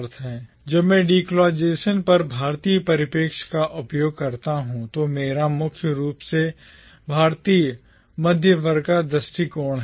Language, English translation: Hindi, When I use the word Indian perspective on decolonisation, what I primarily mean is the perspective of the Indian middle class